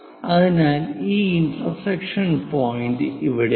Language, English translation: Malayalam, So, this intersection point is here